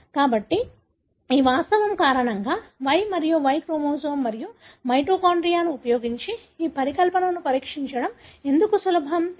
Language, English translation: Telugu, So, why is it so easy to test this hypothesis using Y and Y chromosome and mitochondria is because of this fact